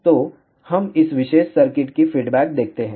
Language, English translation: Hindi, So, let us see the response of this particular circuit